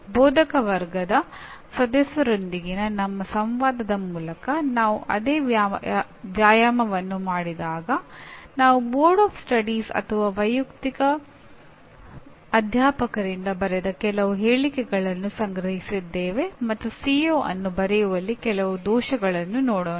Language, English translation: Kannada, They are actually through our interactions with faculty members when we did the same exercise we collected some of the statements written by the faculty as either by Boards of Studies or by the individual faculty and let us look at some of the errors that are actually committed in writing a CO